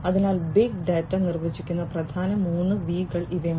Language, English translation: Malayalam, So, these are the main 3 V’s of defining big data